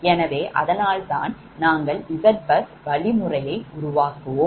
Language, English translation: Tamil, so that's why we will go for z bus building algorithm